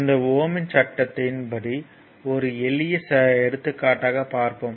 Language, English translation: Tamil, Now, up to this your Ohm’s law and this thing let us come now to a small example, right